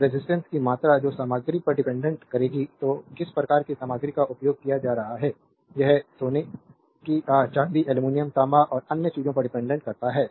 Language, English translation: Hindi, So, the amount of resistance that will depend on the material; so, what type of material you are using that it depend like gold ah, silver, aluminum, copper and other thing right